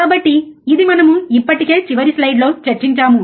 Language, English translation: Telugu, So, this we already discussed in last slide